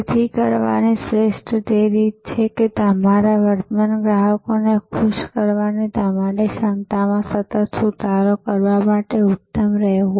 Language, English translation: Gujarati, So, the best way to do that is to be excellent to remain excellent to improve continuously on your ability to delight your current customers